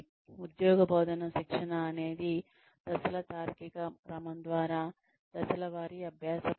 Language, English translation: Telugu, Job instruction training, is a step by step learning process, through a logical sequence of steps